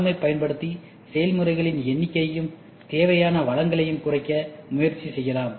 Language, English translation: Tamil, So, using RM we can try to reduce the number of processes, and also the resources what is required